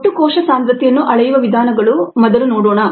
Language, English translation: Kannada, let us first look at the methods to measure total cell concentration